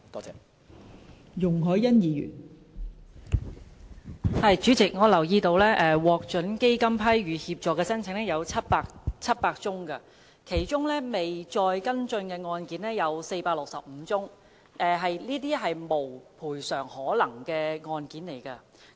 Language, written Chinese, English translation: Cantonese, 代理主席，我留意到獲基金批予協助的申請有700宗，而其中未再跟進的案件有465宗，屬"無賠償可能"的個案。, Deputy President I have noted that the Fund has granted assistance to 700 applications of which 465 cases have not been pursued further for they are cases with no recovery prospect